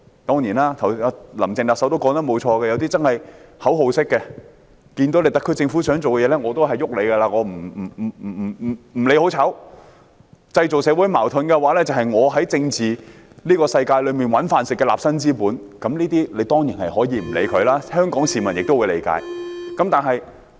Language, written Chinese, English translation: Cantonese, 當然，"林鄭"特首也沒有錯，有些人真的是口號式反對，對於特區政府想做的事，不理好壞也會反對，因為製造社會矛盾便是他們在政治世界的立身之本，這些人當然可以不予理會，香港市民亦會理解。, Some people really voice their objection like chanting slogans and they will oppose all the proposed initiatives of the SAR Government be they good or bad . This is because creating social conflicts is their means of survival in the political world . We can disregard these people and members of the public will understand